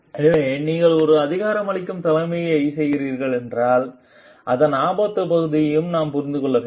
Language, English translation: Tamil, So, if you are doing as an empowering leadership we need to understand the risk part of it also